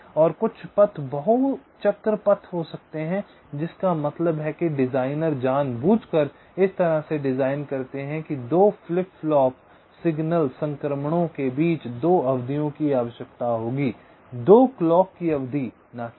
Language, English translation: Hindi, one is called false paths that are never activated, and some paths may be multi cycle paths, which means the designer deliberately design in such a way that between two flip flops, signal transitions will require two periods, two clock periods, not one